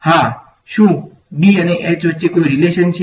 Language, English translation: Gujarati, Yes; is there a relation between B and H